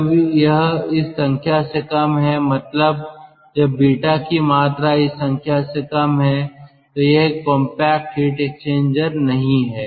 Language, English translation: Hindi, when beta is less than this quantity or this number, then it is not a compact heat exchanger